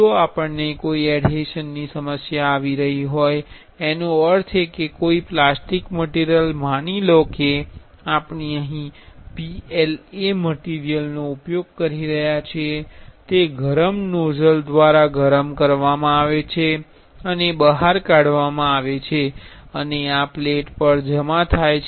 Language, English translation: Gujarati, If we are having any adhesion problem; that means, a plastic material suppose here we are using PLA material, it is heated and extruded through a hotted nozzle and these depositing on a plate